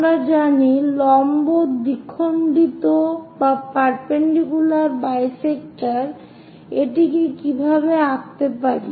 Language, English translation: Bengali, We know perpendicular bisector how to draw that